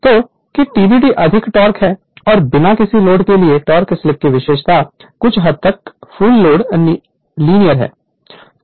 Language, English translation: Hindi, So, that that TBD is the maximum torque right and the torque slip characteristic for no load somewhat given full load is linear